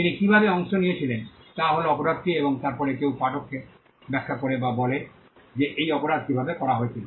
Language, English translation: Bengali, The how he did it part is the crime is there and then somebody explains or tells the readers how this crime was done